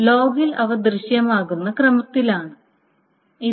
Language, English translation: Malayalam, So this is in the order of which they appear in the log